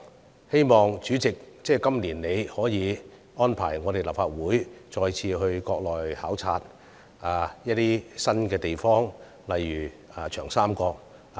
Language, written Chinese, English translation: Cantonese, 主席，希望你今年再次安排立法會議員到國內考察一些新地方，例如長江三角洲。, President I hope you will arrange another visit this year for Members to visit some other places such as the Yangtze River Delta in the Mainland